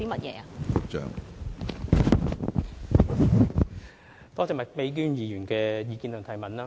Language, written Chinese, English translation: Cantonese, 多謝麥美娟議員的意見及補充質詢。, I thank Miss Alice MAK for her views and supplementary question